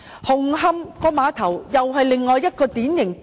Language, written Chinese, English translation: Cantonese, 紅磡碼頭又是另一個經典例子。, The Hung Hom Ferry Pier is yet another typical example